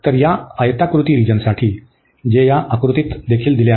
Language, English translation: Marathi, So, for this rectangular region, which is also given in this figure